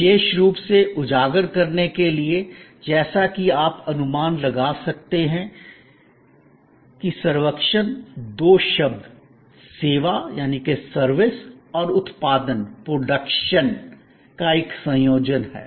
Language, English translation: Hindi, Particularly to highlight the point, as you can guess servuction is a combination of two words service and production